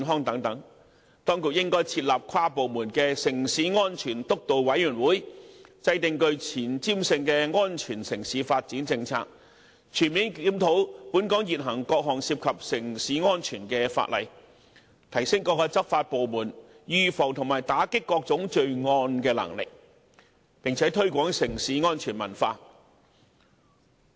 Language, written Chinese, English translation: Cantonese, 當局應設立跨部門城市安全督導委員會，制訂具前瞻性的安全城市發展政策，全面檢討現行各項城市安全相關法例，提升各執法部門預防及打擊各種罪案的能力，並且推廣城市安全文化。, The authorities should set up an inter - departmental steering committee on safe city and introduce forward - looking policies on safe city development fully review existing legislation relating to safe city strengthen law enforcement departments capacity for preventing and fighting crime and promote a safe city culture